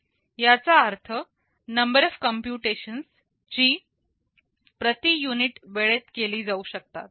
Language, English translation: Marathi, It means number of computations that can be carried out per unit time